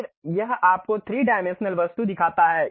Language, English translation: Hindi, Then it shows you a 3 dimensional object